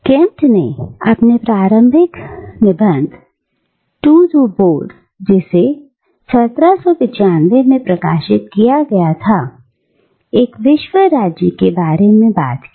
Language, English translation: Hindi, Now, Kant, in his seminal essay, Toward Perpetual Peace, which was published in 1795, talks about a world state